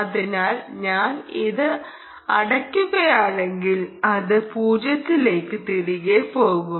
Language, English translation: Malayalam, so if i close this, it should go back to zero